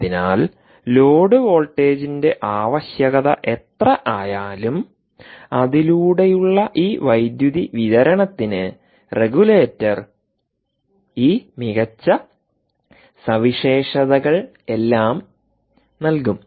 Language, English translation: Malayalam, so, whatever be the load voltage requirement, this power supply, through its regulator, should give you all these nice ah features